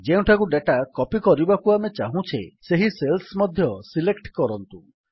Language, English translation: Odia, Also select the cells where we want to copy the data